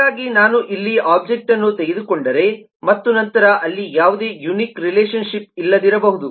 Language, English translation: Kannada, so if i take an object here and if i take an object here, then there may not be any unique relationship